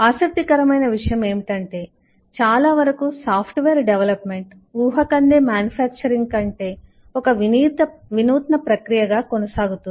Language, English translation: Telugu, interestingly, most software development is continuously innovative process rather than predictive manufacturing